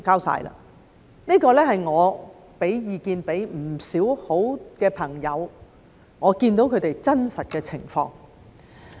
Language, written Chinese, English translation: Cantonese, 這是要求我提供意見的不少朋友的真實情況。, This is the actual situation of many of my friends who asked for my advice